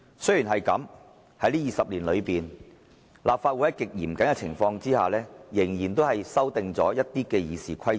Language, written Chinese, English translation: Cantonese, "雖然這樣，在這20年裏，立法會在極嚴謹的情況下，仍然數度修訂了《議事規則》。, That said over the past two decades the Legislative Council has nevertheless amended the RoP a few times in some very rigorous circumstances